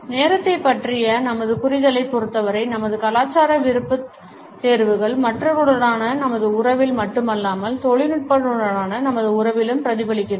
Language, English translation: Tamil, Our cultural preferences as far as our understanding of time is concerned are reflected not only in our relationship with other people, but also in our relationship with technology